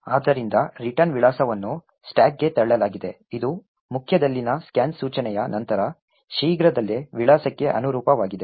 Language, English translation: Kannada, So, there is the return address pushed into the stack this corresponds to the address soon after the scan instruction in the main